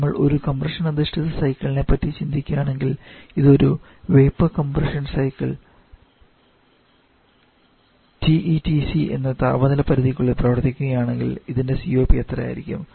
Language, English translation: Malayalam, But why we are doing all this derivation because if you think about a compression based cycle vapour compression cycle working between the same temperature limits of TE and TC then what would be its COP